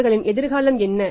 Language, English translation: Tamil, What their future